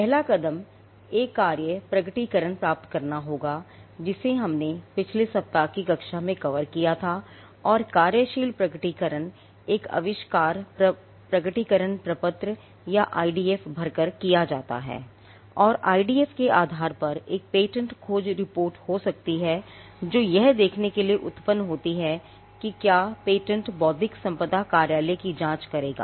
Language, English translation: Hindi, The first step will be to get a working disclosure something which we covered in last week's class and the working disclosure resident is done by filling an invention disclosure form or IDF and based on the IDF they can be a patentability search report that is generated to see whether the patent will stand the scrutiny of the intellectual property office